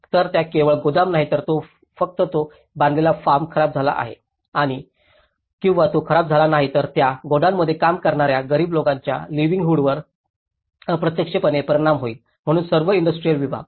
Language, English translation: Marathi, So, it has not only the godown or not only the built form which has been collapsed or damaged but it will indirectly affect the livelihoods of the poor people who are working in that godown, so all the industrial segment